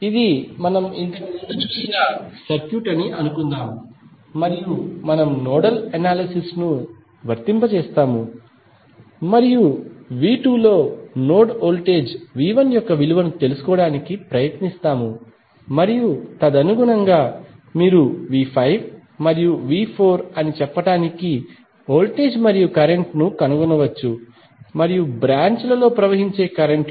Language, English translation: Telugu, Let us assume that this is the circuit which we saw previously and we will apply the nodal analysis and try to find out the values of node voltages V 1 in V 2 and then accordingly you can find the voltages and currents for say that is V 5 and V 4 and the currents flowing in the branches